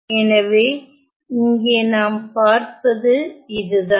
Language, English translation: Tamil, So, what we see here is that this